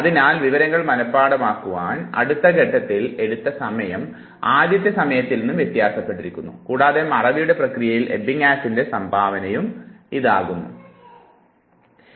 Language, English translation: Malayalam, And therefore the time taken in the next phase is different from the time taken a originally to memorize the information, and this is what is Ebbinghaus contribution to the process of forgetting